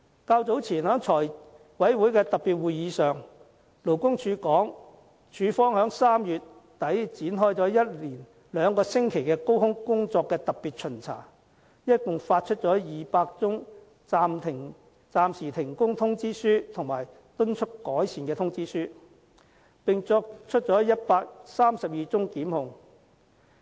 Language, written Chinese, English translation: Cantonese, 較早前在財委會特別會議上，勞工處稱處方在3月底展開了一連兩星期的高空工作特別巡查，一共發出200宗暫時停工通知書和敦促改善通知書，並作出132宗檢控。, In a special meeting of the Finance Committee earlier the representative of the Labours Department said that the Department conducted a two week - long special inspection exercise involving work - at - height activities and issued a total of 200 suspension notices and improvement notices and made 132 prosecutions